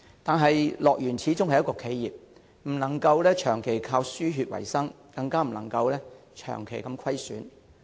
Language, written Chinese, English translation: Cantonese, 可是，樂園始終是企業，不能長期靠"輸血"維生，更不能長期出現虧損。, However HKDL is an enterprise after all . It cannot rely on cash injections to survive in the long run and it can hardly even afford financial losses persistently